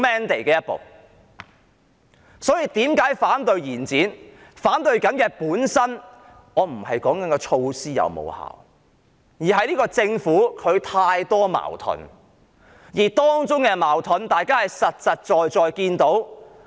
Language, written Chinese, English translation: Cantonese, 我之所以反對延展，本身並非關乎措施的成效，而是由於政府存在太多矛盾，大家有目共睹。, I oppose an extension not so much because of the measures effectiveness but because of the many conflicts plaguing the Government . Such conflicts are evident to all